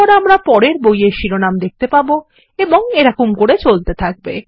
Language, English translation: Bengali, Then we will see the next book title, and so on